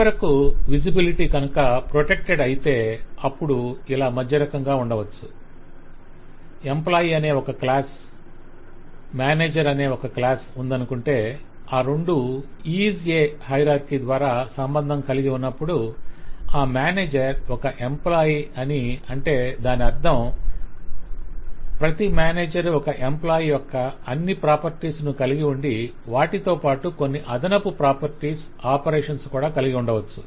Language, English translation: Telugu, And finally, if the visibility is protected, then we have something in between this: If I have one class, say employee, and if we have another class, say manager, so that they are related by on a IS A hierarchy, that manager is a employee, which means that every manager satisfy all the properties of an employee but may have some additional properties, some additional operations